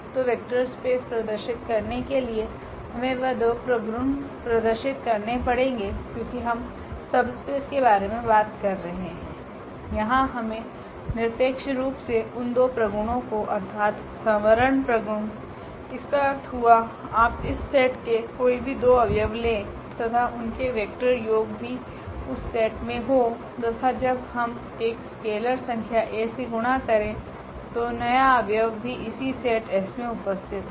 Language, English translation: Hindi, So, for showing the vector space we need to show those two properties because we are talking about the subspace here we need to absolutely show those two properties that closure properties; that means, you take any two elements of this set and their vector addition should also belong to the same set and also when we multiply this set by a number a scalar number that the new element should also belong to this set S